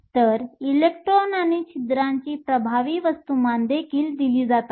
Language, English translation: Marathi, So, the effective masses of the electrons and holes are also given